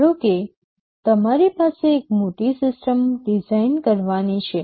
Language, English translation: Gujarati, Suppose you have a large system to be designed